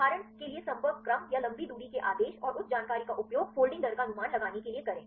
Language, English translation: Hindi, For example the contact order or a long range order and use that information to predict the folding rate